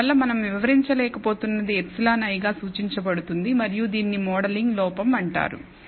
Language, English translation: Telugu, And therefore, whatever we are unable to explain is denoted as epsilon i and it is called a modeling error